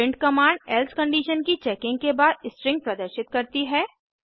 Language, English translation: Hindi, print command displays the string after checking the else condition